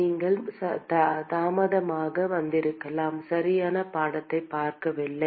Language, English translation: Tamil, Maybe you came late you did not see the exact picture